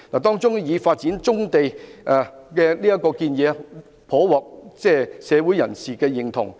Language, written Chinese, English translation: Cantonese, 當中發展棕地的建議，甚獲社會人士認同。, Among these options the development of brownfield sites is generally supported by the public